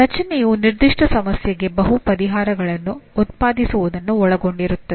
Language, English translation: Kannada, Creation involves producing multiple solutions for a given problem